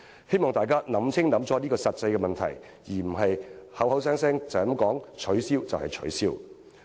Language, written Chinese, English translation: Cantonese, 希望大家想清楚這個實際問題，而不是隨便說取消便取消。, I hope that people will carefully consider these practical problems rather than abolish the MPF offsetting mechanism hastily